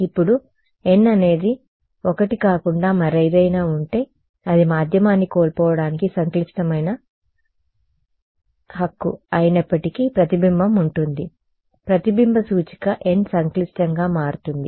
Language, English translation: Telugu, Now, if n is anything other than 1 there is a reflection even if it is complex right for losing medium the reflective index n becomes complex